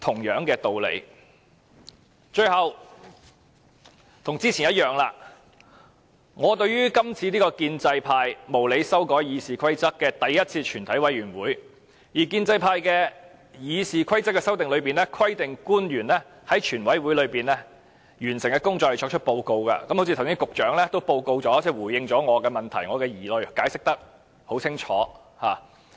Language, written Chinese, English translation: Cantonese, 最後，正如我剛才發言時已表示，這是建制派無理修改《議事規則》後首次舉行的全委會，而經建制派修訂的《議事規則》規定官員在全委會完成所有程序並回復立法會後作出報告，局長剛才亦已作出報告，回應我的問題和疑慮，解釋得很清楚。, Lastly as I have stated in my previous speech it is the first committee of the whole Council after the unreasonable amendments to the Rules of Procedure RoP by the pro - establishment camp and RoP as amended by the pro - establishment camp requires public officers to make a report when all the proceedings have been concluded in the committee of the whole Council and the Council has resumed . The Secretary has also just made a report which gave clear explanations to my questions and doubts